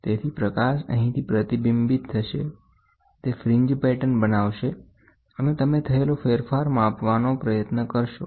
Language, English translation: Gujarati, So, the light gets reflected from here, this creates fringe patterns and these fringe patterns are measured and you try to find out the variations